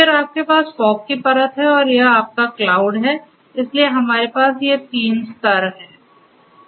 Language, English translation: Hindi, Then you have this fog layer this fog layer and this is your cloud right so, we have these 3 tiers